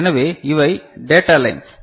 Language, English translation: Tamil, So, this is these are the data lines